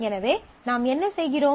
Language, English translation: Tamil, So, what you do